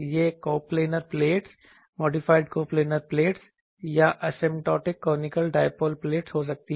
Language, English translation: Hindi, It can be coplanar plates, modified coplanar plates or asymptotic conical dipole plates